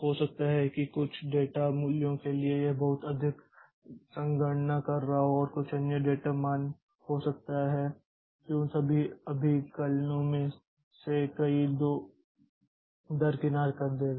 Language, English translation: Hindi, Maybe for some data values it will be doing a lot of computations and some other data values maybe it will be just bypass many of those computations